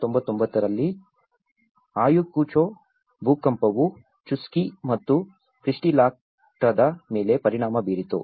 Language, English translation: Kannada, Ayacucho earthquake which is in 1999 which has affected the Chuschi and Quispillacta